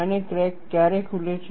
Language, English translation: Gujarati, And, how does the crack open